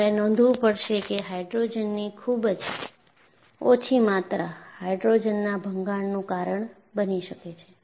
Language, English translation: Gujarati, And what you will have to notice is, very small amounts of hydrogen can cause hydrogen embrittlement